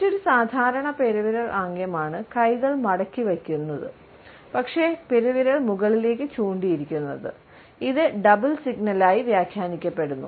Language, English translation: Malayalam, Another common thumb cluster is when arms are folded, but thumbs are pointing upwards, this is interpreted as a double signal